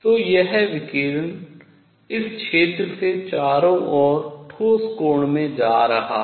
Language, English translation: Hindi, So, this radiation is going all around from this area into the solid angle all around